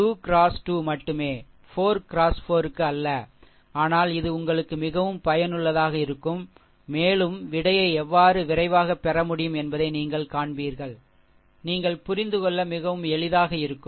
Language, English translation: Tamil, Not 2 into 2 not 4 into 4, but this will be very useful for you and you will see how quickly you can obtain it, right so, that me clean it , right